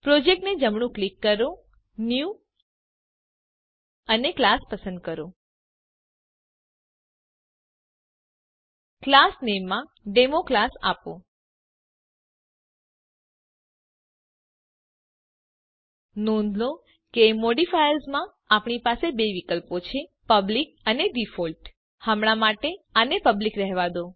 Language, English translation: Gujarati, Right click on the project, New and select class In the class name, give DemoClass Notice that in modifiers, we have two options, public and default For now leave it as public